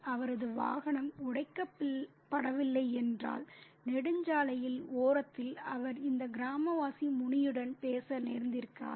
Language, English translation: Tamil, If his vehicle hadn't broken down by the side of the highway, he would not be having this conversation with this villager Muni